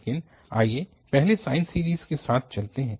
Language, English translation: Hindi, But let's go with the sine series first